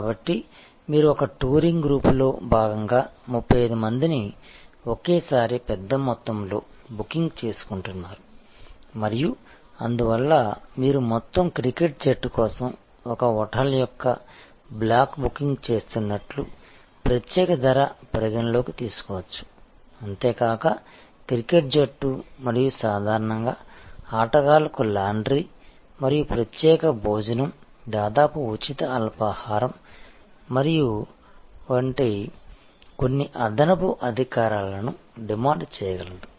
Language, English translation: Telugu, So, you are getting at one time bulk booking of 35 people as part of a touring group and therefore, there can be special price consideration you are making a block booking of a hotel for a whole cricket team and therefore, the cricket team will can demand and will normally get certain additional privileges like may be laundry for the players and a special meal almost free breakfast and so on and so forth